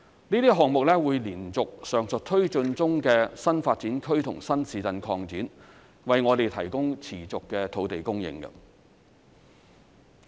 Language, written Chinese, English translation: Cantonese, 這些項目會延續上述推進中的新發展區及新市鎮擴展，為我們提供持續的土地供應。, These projects will provide a continuous supply of land in continuation of the above mentioned new development areas and new town expansion now in process